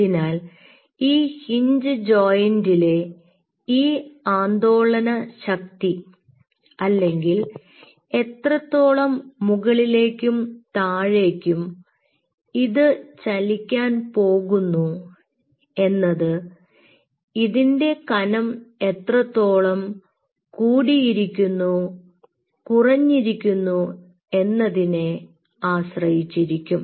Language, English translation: Malayalam, so this oscillation power at this hinge joint, how much it is going to move back and forth, is a function of how rigid the structure is or how thick the structure is or how thinner the structure is